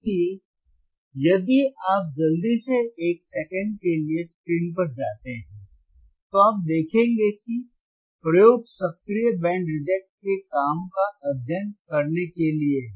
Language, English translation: Hindi, So, if you quickly go to the screen for a second, you will see that the experiment is to study the working of active band reject filter active band reject filter